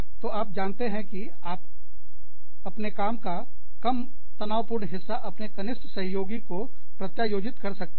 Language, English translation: Hindi, So, you could, you know, delegate the less stressful parts of your job, to your juniors